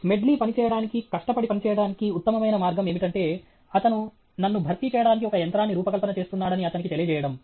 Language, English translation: Telugu, I found that the best way to make Smedley work, work hard, is to let him know he is designing a machine to replace me